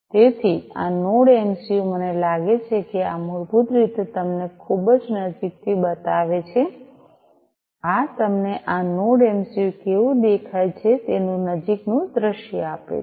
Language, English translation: Gujarati, So, this Node MCU, I think this basically shows you from a very closer you know this gives you a closer view of how this Node MCU looks like